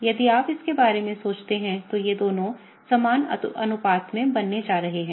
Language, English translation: Hindi, If you think about it, both of these are going to be created in equal proportion